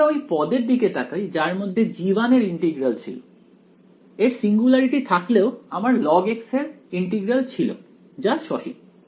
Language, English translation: Bengali, When I looked at the term involving integral of g 1 even if there was a singularity I had it was the integral of log x that turned out to be finite